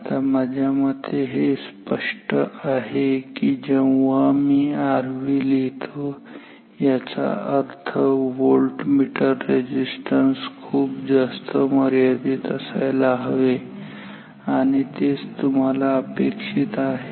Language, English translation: Marathi, Now, I guess it is clear when I write R V it means voltmeter resistance should be very high infinite I theoretically that is what you want